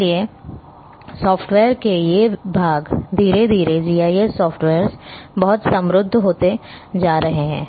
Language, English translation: Hindi, So, these come and so these section of software GIS softwares slowly, slowly are also becoming very enriching